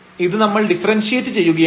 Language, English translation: Malayalam, So, we are differentiating this